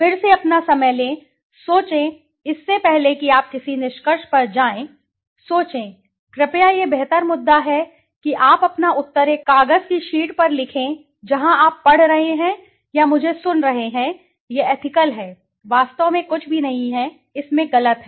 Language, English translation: Hindi, Again take your time, think, before you jump to a conclusion, think, please it is a better issue write your answers on a sheet of paper where you are reading or listening to me, okay, it is ethical, in fact there is nothing wrong in it